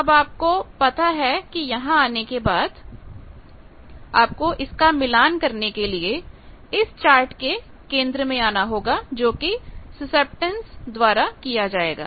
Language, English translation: Hindi, Now, after this you know that after coming here you will have to come to the centre of the chart to match it that is done by the susceptance